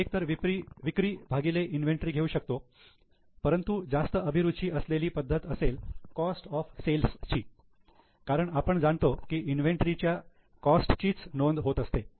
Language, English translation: Marathi, Now, either we can take sales upon inventory but more sophisticated would be cost of sales because you know inventory is recorded at cost